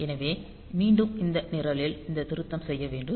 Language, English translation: Tamil, So, again I have to make this correction in this program